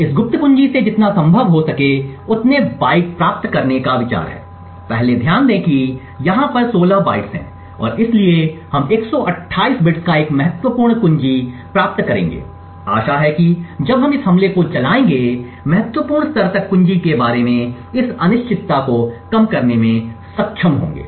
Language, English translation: Hindi, The idea is to get as many bytes as possible from this secret key, the first think to note is that there 16 such bytes over here and therefore we would obtain a key size of 128 bits, the hope is that when we run this attack we would be able to reduce this uncertainty about the key to a significant level